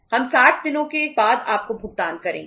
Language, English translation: Hindi, We will pay you after 60 days